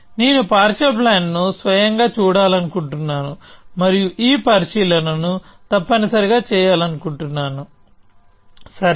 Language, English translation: Telugu, I want to look at the partial plan itself and make it this observation essentially, okay